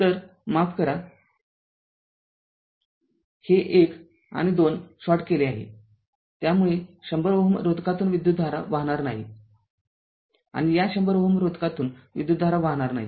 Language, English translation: Marathi, So, ah sorry this ah, sorry this ah this 1 2 is shorted, so there will be no current to 100 ohm, and no current through this 100 ohm resistance